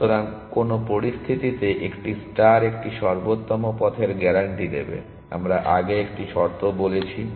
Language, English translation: Bengali, So, under what conditions would a star guarantee an optimal path we have stated one condition earlier